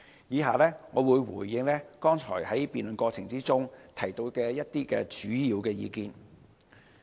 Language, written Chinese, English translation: Cantonese, 以下，我會回應剛才議員在辯論過程中提到的主要意見。, Next I will respond to the major views put forward by Members in the course of debate earlier